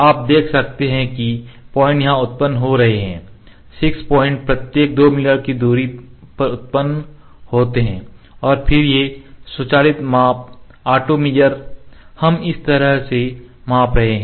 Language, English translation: Hindi, You can see the points are being generated here 6 points are generated at 2 mm distance each and auto measure again we can keep measuring like this